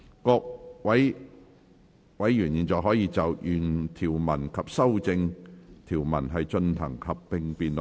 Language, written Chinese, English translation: Cantonese, 各位委員現在可以就原條文及修正案進行合併辯論。, Members may now proceed to a joint debate on the original clauses and the amendments